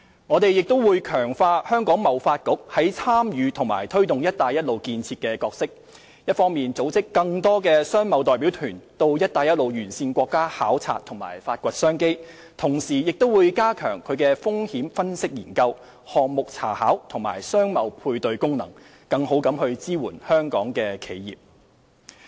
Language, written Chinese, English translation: Cantonese, 我們亦會強化香港貿易發展局在參與及推動"一帶一路"建設的角色，一方面組織更多商貿代表團到"一帶一路"沿線國家考察和發掘商機，同時加強其風險分析研究、項目查考和商貿配對功能，更好地支援香港的企業。, We will also enhance the role of the Hong Kong Trade Development Council in the promotion of and participation in the Belt and Road Initiative . On the one hand it will be tasked for organizing more trade missions to countries along the Belt and Road for identifying business opportunities and efforts will be made to strengthen its capabilities in risk profiling research project scoping and business matching on the other with a view to better supporting our enterprises